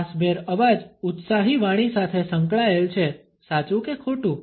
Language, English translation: Gujarati, A breathy voice is associated with passionate speech true or false